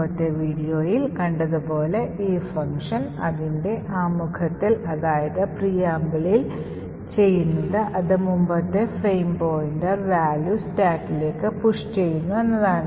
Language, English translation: Malayalam, Now as we have seen in the previous video what this function initially does in its preamble is that it pushes into the stack that is the previous frame pointer into the stack